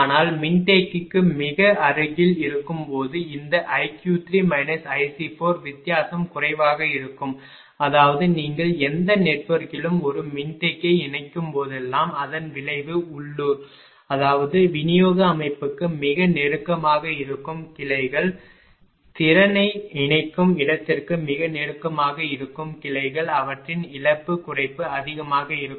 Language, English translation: Tamil, But when is very close to the capacitor this i q 3 minus i is the difference will be less; that means, whenever you are connecting a capacitor at any network right it effect is local; that means, that branches which are very close to for distribution system very close to the capacity connecting point theirs loss reduction will be higher right